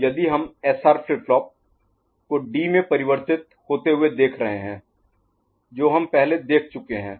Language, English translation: Hindi, So, if we are looking at SR flip flop getting converted to D, we have seen before